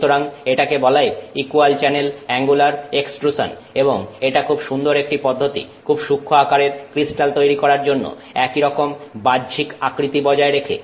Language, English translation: Bengali, So, this is called equal channel angular extrusion and it's a very nice way of creating samples of, you know, very fine crystal size while still maintaining the external dimensions to be similar